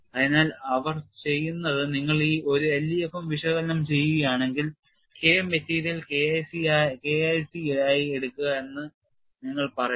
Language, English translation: Malayalam, So, what they do is if you're doing a l e f m analysis, you simply say take K material as K1c